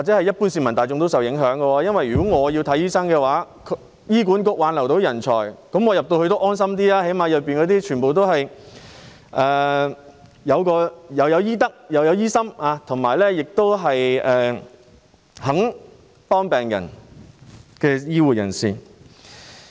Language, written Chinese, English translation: Cantonese, 一般市民可能亦會受到影響，因為如果他們想求醫，而醫管局能夠挽留人才，這樣他們便可安心一點，至少醫院內都是有醫德而且願意幫助病人的醫護人員。, Members of the ordinary public are also at stake because if HA is able to retain talents people who want to seek medical treatment can feel somewhat at ease for at least the health care personnel in the hospitals are upholding a high standard of medical ethics and willing to help the patients